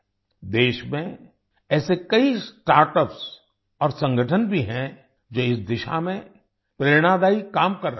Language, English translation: Hindi, There are also many startups and organizations in the country which are doing inspirational work in this direction